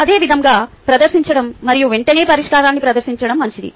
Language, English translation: Telugu, similarly, just presenting and presenting the solution immediately is fine